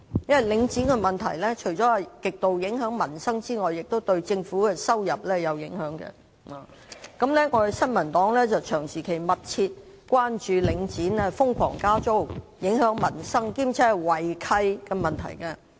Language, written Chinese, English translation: Cantonese, 因為領展的問題，除極度影響民生外，也影響政府的收入。新民黨長期密切關注領展瘋狂加租影響民生，並且有違契的問題。, Since issues concerning Link REIT have a significant bearing on peoples livelihood as well as the revenue of the Government the New Peoples Party has closely monitored issues relating to ridiculous rent increases affecting peoples livelihood and breaches of lease by Link REIT for a long period of time